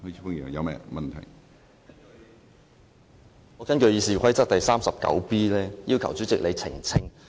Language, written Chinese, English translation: Cantonese, 主席，我根據《議事規則》第 39b 條要求你澄清。, Chairman I seek elucidation under Rule 39b of the Rules of Procedure